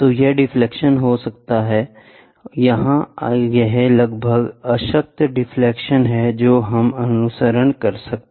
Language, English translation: Hindi, So, it can have deflection so, here it is almost, null deflection is what we follow